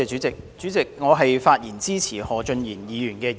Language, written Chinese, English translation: Cantonese, 主席，我發言支持何俊賢議員的議案。, President I rise to speak in support of the motion moved by Mr Steven HO